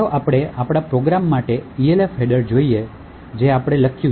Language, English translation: Gujarati, So let us see the Elf header for our program that we have written